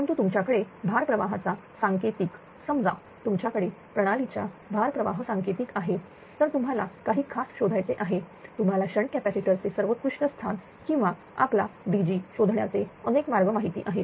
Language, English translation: Marathi, But you have the load flow coding say assuming that you have the load flow coding of a system then you have to find out there are several you know several different ways are there to find out the best locations of the shunt capacitor or our DG also right